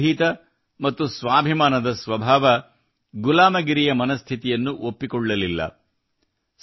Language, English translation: Kannada, His fearless and selfrespecting nature did not appreciate the mentality of slavery at all